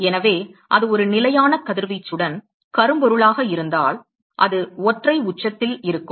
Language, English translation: Tamil, So, if it is black body with a fixed radiation it will be at a single peak